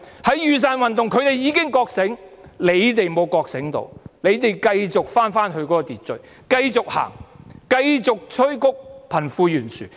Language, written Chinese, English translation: Cantonese, 在雨傘運動中，他們已經覺醒，只是政府沒有覺醒，繼續返回秩序，繼續走，繼續催谷貧富懸殊。, During the umbrella movement they already woke up but not the Government . It continues its way back to the order